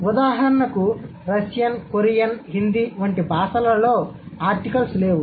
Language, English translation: Telugu, For example Russian, for example Korean, in Hindi, we don't have an article